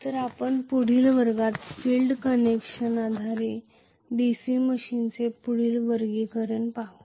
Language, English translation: Marathi, So we will look at further classification of DC machines based on the field connection in the next class